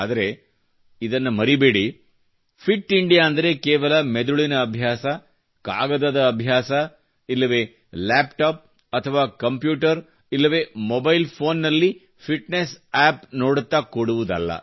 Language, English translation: Kannada, But don't forget that Fit India doesn't mean just exercising the mind or making fitness plans on paper or merely looking at fitness apps on the laptop or computer or on a mobile phone